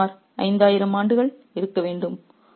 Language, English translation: Tamil, There must be some 5,000 men